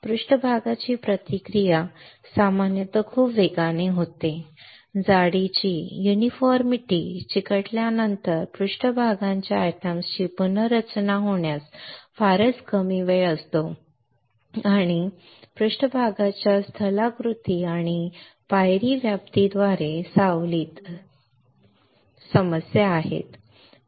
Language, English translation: Marathi, The surface reaction usually occur very rapidly there is very little time of rearrangement of surface atoms after sticking thickness uniformity and shadowing by surface topography and step coverage are issues alright